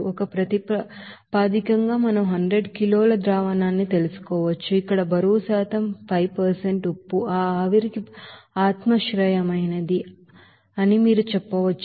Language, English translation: Telugu, As a basis we can take 100 kg of solution where 5% in weight percent you can say salt will be there subjective to that evaporation